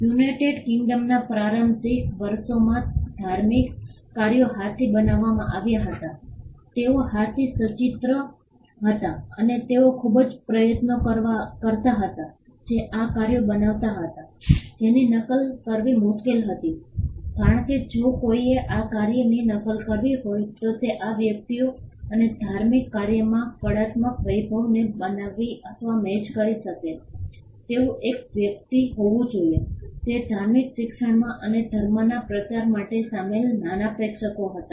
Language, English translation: Gujarati, In the initial years in United Kingdom religious works were made by hand they were hand illustrated and they was enormous amount of effort that went into creating these works that itself made them difficult to copy because if somebody had to make a copy of this work then it had to be a person who could create or match the artistic splendour in these works and religious works were meant for a small audience people who were involved in religious teaching and in propagation of the religion